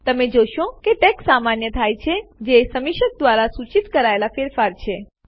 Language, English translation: Gujarati, You will see that the text becomes normal which is the change suggested by the reviewer